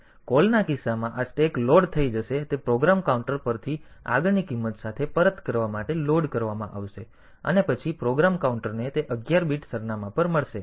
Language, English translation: Gujarati, So, in case of a call this stack will be loading will be loaded with the next value of from the program counter for returning, and then the program counter will get that at 11 bit address